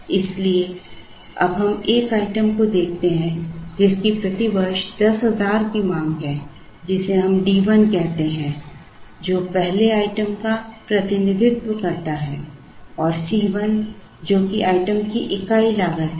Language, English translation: Hindi, So, we now look at the 1st item which has the demand of 10,000 per year we call it D 1 representing the first item and C 1, which is the unit cost of the 1st item